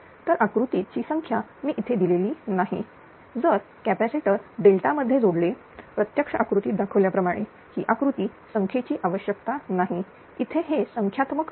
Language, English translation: Marathi, So, figure number I have not given here if the capacitors are connected in dell tan shown in figure actually this is the figure know number is required here it is numerical